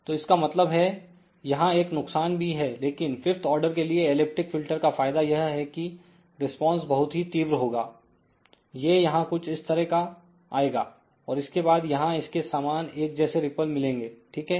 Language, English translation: Hindi, So, that means, there is a disadvantage over here also, but the advantage of the elliptic filter is for the same fifth order that response will be very, very sharp, it will come something like this here